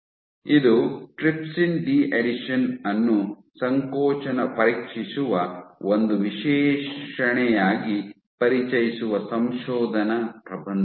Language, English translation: Kannada, This is a paper introducing trypsin de adhesion as an assay for probing contractility